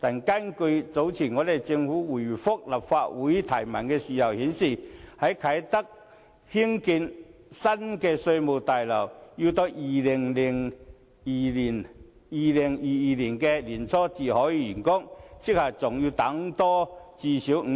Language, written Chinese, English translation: Cantonese, 但是，早前政府答覆立法會質詢時表示，在啟德興建的新稅務大樓要到2022年年初才竣工，即還要多等最少5年。, That said in reply to a question in the Legislative Council earlier the Government indicated that a new Inland Revenue Tower to be constructed at Kai Tak will only be completed in early 2022 . In other words we will still have to wait another five years at least